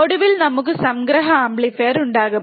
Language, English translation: Malayalam, And finally, we will have summing amplifier